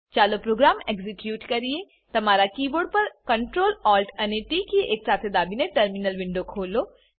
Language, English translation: Gujarati, Let us execute the program Open the terminal Window by pressing Ctrl, Alt and T keys simultaneously, on your keyboard